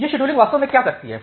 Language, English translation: Hindi, So, what this scheduling actually does